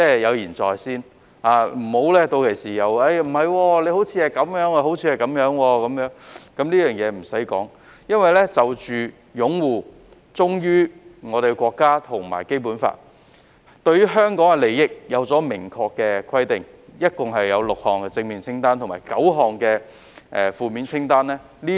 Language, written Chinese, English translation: Cantonese, 有言在先，屆時便不可以說不是這樣、不是那樣，甚麼也不用多說，因為就着擁護《基本法》、忠於我們的國家及關於香港的利益，現已有明確的規定，並已清楚列舉出6項正面清單和9項負面清單。, Everything is made clear in the first place thus leaving no room for anyone to say this is not so and so . It is needless to say much because there are now clear requirements on upholding the Basic Law bearing allegiance to our country and the interests of Hong Kong . Also a six - item positive list and a nine - item negative list have been clearly set out